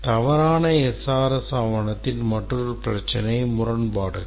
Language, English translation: Tamil, Another problem with the bad SRH document is contradictions